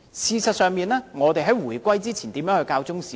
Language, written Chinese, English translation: Cantonese, 事實上，我們在回歸前如何教授中史呢？, As a matter of fact how did we teach Chinese history before the reunification?